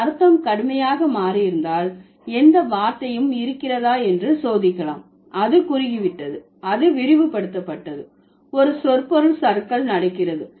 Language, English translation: Tamil, And then you can also test if there was any word which had changed its meaning drastically, whether it has narrowed down, it has been broadened, there has been a semantic drift, what is happening